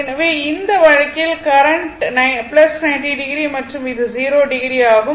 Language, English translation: Tamil, So, in this case, current is plus 90 degree and this is 0 degree